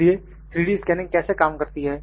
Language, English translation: Hindi, So, how does 3D scanning works